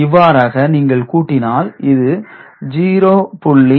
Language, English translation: Tamil, So, then if you add them up 0